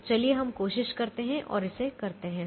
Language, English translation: Hindi, so let us try and do this